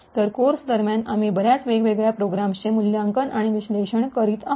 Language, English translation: Marathi, So, during the course we will be evaluating and analysing a lot of different programs